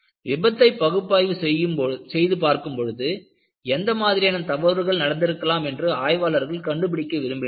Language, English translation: Tamil, When you look at the failure analysis, people want to find out, what kind of mistakes could have happened